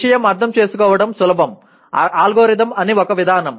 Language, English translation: Telugu, A easy to understand thing is an algorithm is a procedure